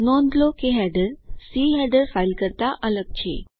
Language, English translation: Gujarati, Notice that the header is different from the C file header